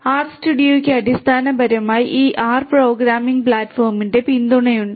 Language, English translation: Malayalam, R studio basically has support for this R programming platform